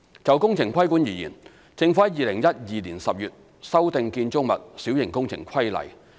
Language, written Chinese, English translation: Cantonese, 就工程規管而言，政府於2012年10月修訂《建築物規例》。, Insofar as works regulation is concerned the Government amended the Building Minor Works Regulation in October 2012